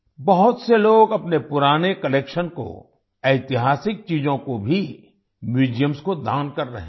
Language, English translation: Hindi, Many people are donating their old collections, as well as historical artefacts, to museums